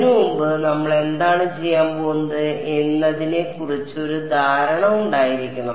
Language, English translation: Malayalam, Before we do that we should have an idea of what we are going to do